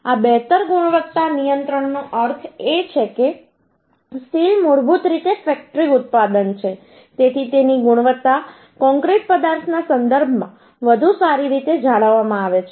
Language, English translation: Gujarati, This better quality control means the steel is basically factory product, so its quality is maintained uhh in a better way in with respect to concrete material